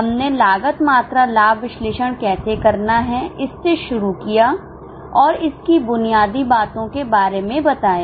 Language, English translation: Hindi, We started with how to go about cost volume profit analysis or what are the fundamentals